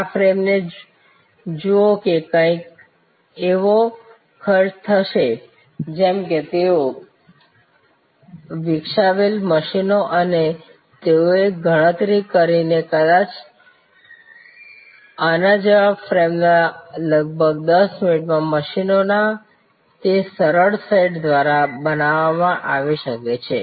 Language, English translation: Gujarati, Wonderful, look at this frame it will cost something like they with the machines they had developed they calculated that maybe a frame like this can be produce by those simple set of machines in about 10 minutes